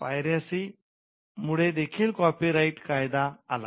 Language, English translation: Marathi, Piracy also played a role in having the copyright laws in place